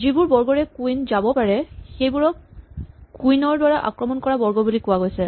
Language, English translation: Assamese, The squares to which the queen can move are said to be attacked by the queen